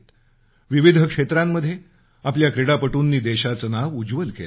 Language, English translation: Marathi, In different games, our athletes have made the country proud